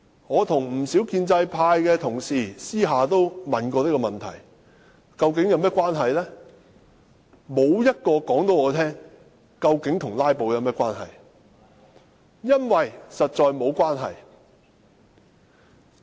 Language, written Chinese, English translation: Cantonese, 我向不少建制派同事私下問過，但沒有人可以告訴我這究竟和"拉布"有何關係，因為實在沒有關係。, I have asked many pro - establishment Members in private but no one can say how it is connected with filibustering . The reason is that there is simply no connection at all